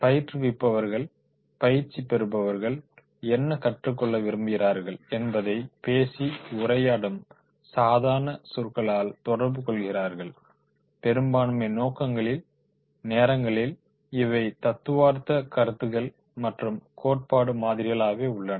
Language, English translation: Tamil, The trainers communicate through spoken words what they want the trainees to learn and most of the time these are the theoretical concepts, the theory models